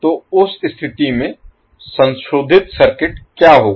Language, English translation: Hindi, So in that case what will be the modified circuit